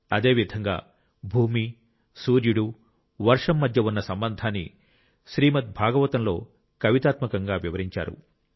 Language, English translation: Telugu, Similarly, the relationship between the earth, the sun and the rain has been elaborated in a poetic form in the Srimad Bhagavata